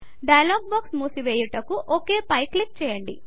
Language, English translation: Telugu, Click on OK to close the dialog box